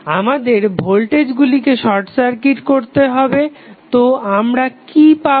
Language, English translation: Bengali, We have to short circuit the voltage so what we will get